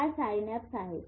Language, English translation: Marathi, This is a synapse